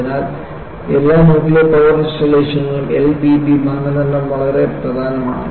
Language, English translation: Malayalam, So, in all nuclear power installations, L V B criterion is very very important